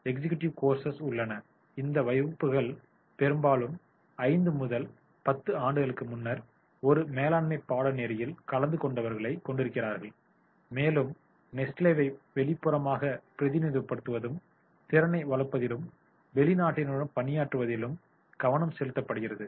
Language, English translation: Tamil, These classes often contain people who have attended a management course five to ten years earlier and the focus is on developing the ability to represent nationally externally and to work with the outsiders